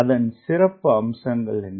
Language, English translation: Tamil, what is the characteristics